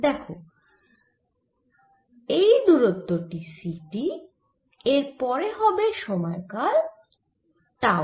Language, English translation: Bengali, so this distances is c, t, after that, for some period, tau